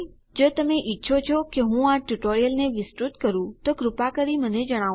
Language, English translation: Gujarati, If you want me to expand this tutorial please just let me know